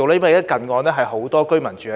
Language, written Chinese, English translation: Cantonese, 因為近岸有很多居民居住。, Because there are many residents living near the shore